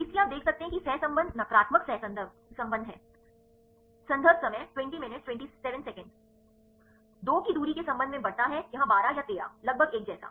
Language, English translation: Hindi, So, you can see the correlation is negative correlation increases with respect to the distance separation of 2 here 12 or 13; almost the same